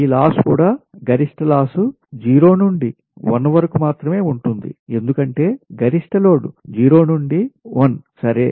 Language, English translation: Telugu, this loss, also peak loss also, will exist from zero to t only because peak load is zero to t, right